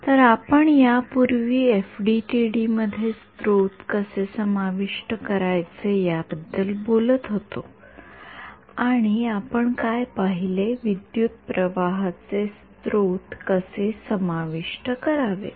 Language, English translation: Marathi, So we were previously talking about the kind how to incorporate sources into FDTD and what we looked at how was how to incorporate current sources